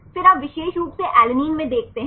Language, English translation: Hindi, Then you take in a particular see in alanine